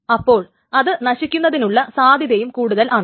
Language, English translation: Malayalam, So the chance that it will die again is more